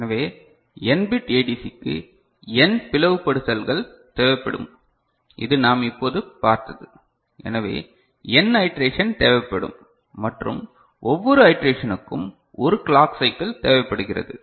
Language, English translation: Tamil, So, n bit ADC will require n bifurcations, the one that we have just seen; so that means, n iteration will be required and each iteration requires 1 clock cycle right